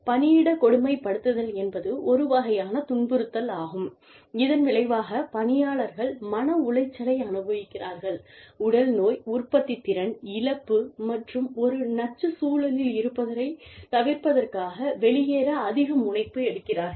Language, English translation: Tamil, Workplace bullying is a form of harassment, that results in, employees experiencing mental distress, physical illness, loss of productivity, and a higher propensity to quit, to avoid being in a toxic environment